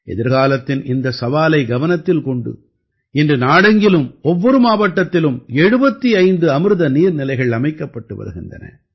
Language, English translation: Tamil, Looking at this future challenge, today 75 Amrit Sarovars are being constructed in every district of the country